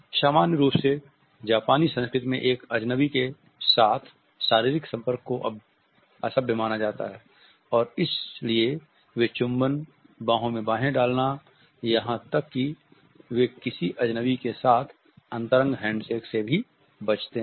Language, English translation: Hindi, The Japanese in general are considered to be opposed to the touch of a stranger and bodily contact with a stranger is considered to be impolite in the Japanese culture and therefore they avoid kisses, the beer hugs as well as even intimate handshakes with others